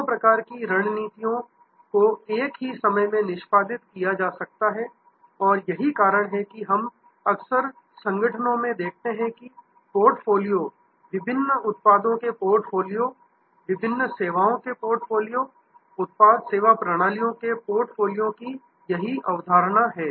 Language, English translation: Hindi, Both types of strategies may have to be executed at the same time and that is why we often see in organizations, that there is this concept of portfolio, portfolio of different products, portfolio of different services, portfolio of product service systems